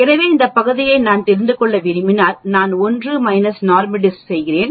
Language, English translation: Tamil, So if I want to know the area of this portion that is outside then I do 1 minus NORMSDIST